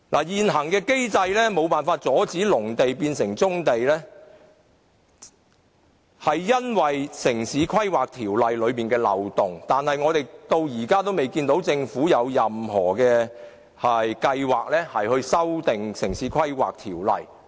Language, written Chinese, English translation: Cantonese, 現行機制無法阻止農地變成棕地，其原因在於《城市規劃條例》存在漏洞，但我們至今仍未看見政府有任何計劃修訂《城市規劃條例》。, Loopholes in the Town Planning Ordinance have made existing mechanisms incapable of stopping agricultural land from turning into brownfield sites . But so far nothing has been done by the Government to amend the Town Planning Ordinance